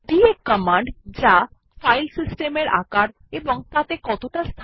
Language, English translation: Bengali, df command to check the file system size and its availability